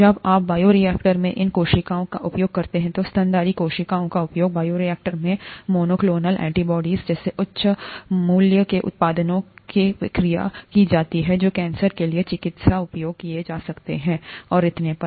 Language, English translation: Hindi, When you use these cells in the bioreactor, mammalian cells are used in the bioreactor for production of high value products such as monoclonal antibodies which are used for cancer therapy and so on